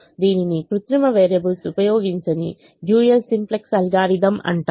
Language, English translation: Telugu, it's called the dual simplex algorithm, where we do not use artificial variables